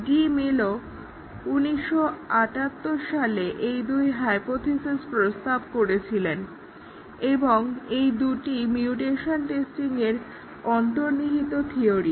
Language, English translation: Bengali, So, both these where proposed by DeMillo, 1978 and these two are the underlying theory behind mutation testing